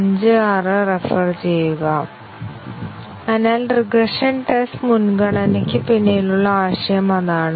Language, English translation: Malayalam, So, that is the idea behind regression test prioritization